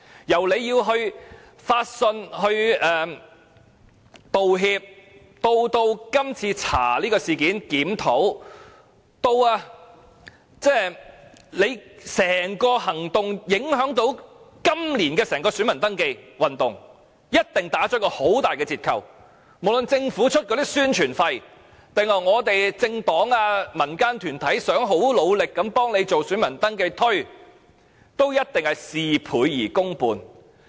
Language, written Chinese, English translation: Cantonese, 由處方要發信道歉，至調查今次事件，進行檢討，至處方整個行動對今年整體選民登記行動的影響，一定會大打折扣；無論政府付出多少宣傳費，還是政黨和民間團體如何努力協助宣傳選民登記，均一定事倍功半。, To begin with REO has mailed many apology letters and an investigation and review must be conducted . Furthermore this whole incident involving REO will have impact on the entire voter registration campaign this year greatly reducing its effectiveness . And no matter how much the Government spends on publicity and how hard political parties and non - governmental organizations assist in the publicity on voter registration we will only get half the result with twice the effort